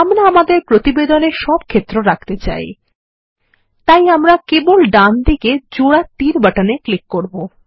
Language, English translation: Bengali, We want all the fields in our report, so well simply click on the double arrow button towards the right